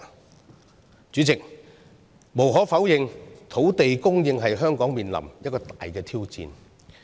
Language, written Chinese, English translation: Cantonese, 代理主席，無可否認，土地供應是香港面臨的一大挑戰。, Deputy President land supply is undeniably a major challenge for Hong Kong